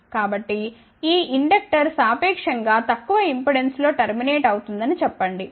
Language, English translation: Telugu, So, let us say this inductor is terminated in a relatively low impedance